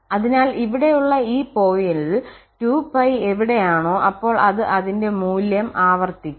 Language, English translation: Malayalam, So, at this point here we are somewhere 2 pi and then it will repeat its value